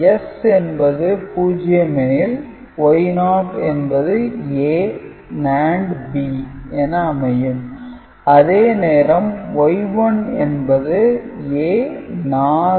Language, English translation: Tamil, So, that means, Y naught is A naught NAND B naught Y 1 is A 1 NAND B 1